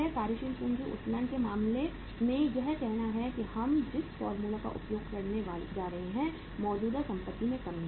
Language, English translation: Hindi, Working capital leverage in case of the say this is the formula we are going to use that is in the decrease in the current asset